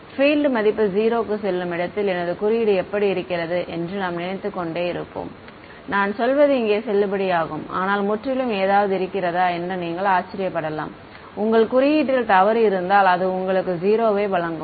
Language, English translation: Tamil, Where the field value goes to 0, then you will keep thinking that how is whether my code is giving I mean that is also valid, but you might wonder if there is something entirely wrong with your code that is giving you 0 right